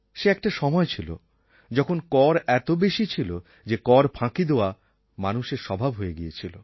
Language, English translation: Bengali, There was a time when taxes were so pervasive, that it became a habit to avoid taxation